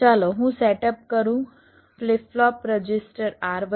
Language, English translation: Gujarati, lets, i have a setup, flip flop, register r one